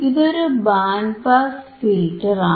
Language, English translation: Malayalam, So, it is just band pass filter